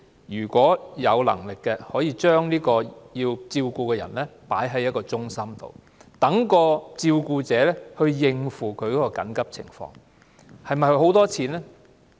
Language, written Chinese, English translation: Cantonese, 如有能力的話，可以將被照顧者送到中心，讓照顧者先行處理其緊急情況。, If possible the team will bring the care receiver back to its centre for the carer to take care of urgent matters first